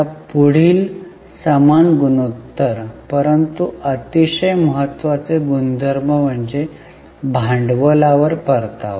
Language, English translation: Marathi, Now the next one, similar ratio but very important ratio is return on capital